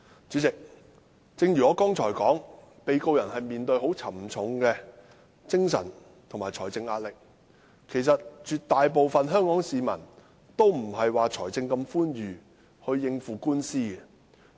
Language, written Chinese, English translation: Cantonese, 主席，正如我剛才所說，被告人會面對沉重的精神和財政壓力，絕大部分香港市民均沒有寬裕的財力應付官司。, President as I said earlier defendants face tremendous mental and financial pressure and an overwhelming majority of the citizens of Hong Kong do not have ample financial resources to cope with lawsuits